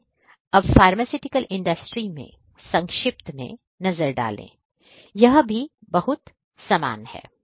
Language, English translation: Hindi, So, let us now take a brief look at IoT in the pharmaceutical industry, this is also very similar